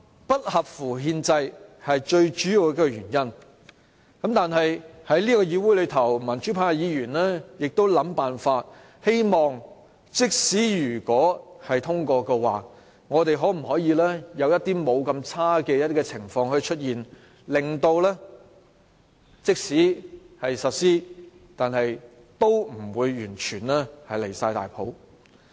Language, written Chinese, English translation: Cantonese, 不合乎憲制是最主要的反對原因，但是，在這個議會，民主派議員都在想辦法，希望即使《條例草案》通過，也可有一些不太壞的情況出現；即使實施"一地兩檢"，也不至於太離譜。, Unconstitutionality is the chief reason for our opposition . But despite our disagreement we pro - democracy Members of this Council still want to make sure that even if the Bill is really passed things will not turn too bad . We hope that even if the co - location arrangement is eventually implemented things will not turn too bad